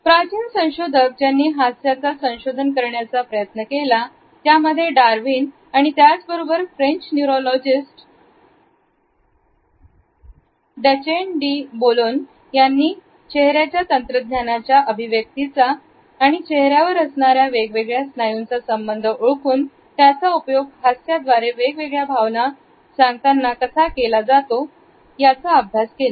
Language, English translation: Marathi, Initial researchers into what can be understood is a science of a smiles were taken up as we have committed earlier by Darwin and at the same time, they were taken up by the French neurologist Duchenne de Boulogne, who had studied the mechanics of facial expressions and particularly had tried to identify that association of different muscles which are present on our face and what type of muscles are used in which type of emotion communication through our smiles